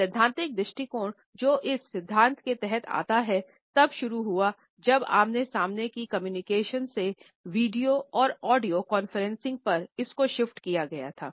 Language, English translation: Hindi, The theoretical approaches which come under this theory is started when there was a remarkable shift from a face to face communication to audio or video conferencing